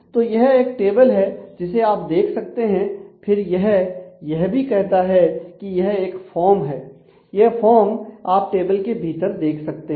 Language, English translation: Hindi, So, this is the table that you can get to see and then it also says that there is a form and this is the form that you get to see within the table you can see